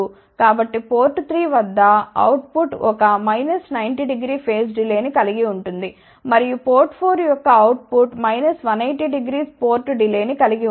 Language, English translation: Telugu, So, output at port 3 will have a minus 90 degree phase delay and output of port 4 will have a minus 180 degree port delay